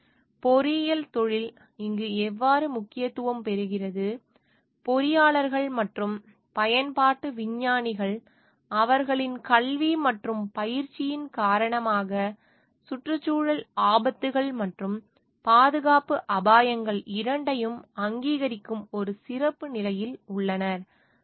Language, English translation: Tamil, So, how engineering profession becomes important over here, is engineers and applied scientists, because of their education and training, are in a special position to recognise both environmental hazards and safety hazards